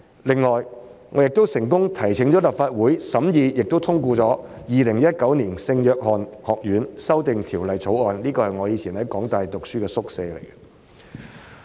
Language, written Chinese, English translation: Cantonese, 另外，我也成功提請立法會審議並通過了《2019年聖約翰學院條例草案》，涉及的是我過去在香港大學就讀時居住的宿舍。, Besides I have also successfully introduced the St Johns College Amendment Bill 2019 into this Council for scrutiny and secured passage of this Bill concerning the university dormitory I lived in when I was studying at the University of Hong Kong back then